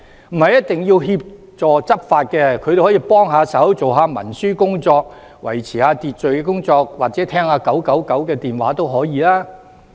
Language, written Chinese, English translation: Cantonese, 他們不一定只協助執法，也可以幫忙文書工作、維持秩序或接聽999電話都可以。, These special constables can do more than enforcement . They can also help in paperwork maintain order or take 999 hotline calls